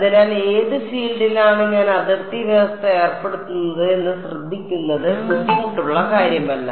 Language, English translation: Malayalam, So, it is not tricky just taking care of on which field I am imposing the boundary condition itself